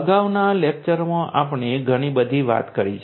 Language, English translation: Gujarati, We have talked about a lot in the previous lectures